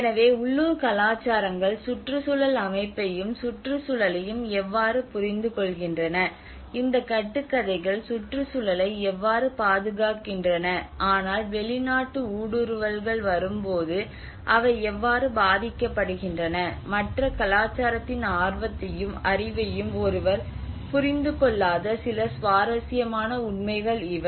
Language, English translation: Tamil, So these are some of the interesting facts that how local cultures understand the ecosystem and the environment, how these myths also protect the environment but when the foreign intrusions comes, how they get impacted, and one do not understand the other cultures interest and knowledge